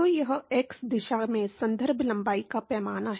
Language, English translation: Hindi, So, that is the reference length scale in x direction